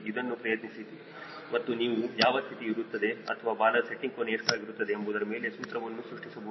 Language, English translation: Kannada, try this and you can formulate what will be the conditions or what we will be the tail setting angle